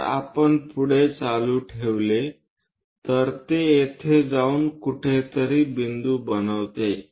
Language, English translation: Marathi, If we continue, it goes and makes a point somewhere here